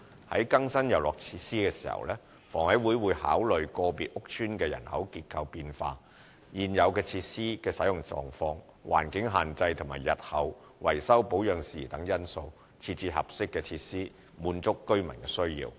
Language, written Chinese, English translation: Cantonese, 在更新遊樂設施時，房委會會考慮個別屋邨的人口結構變化、現有設施的使用狀況、環境限制和日後維修保養事宜等因素，設置合適的設施，滿足居民的需要。, HA will consider various factors when replacing the playground facilities including changes in the demographic structure of individual estate conditions of the existing facilities environmental limitations future maintenance and repair issues etc in order to install suitable facilities to address the needs of the residents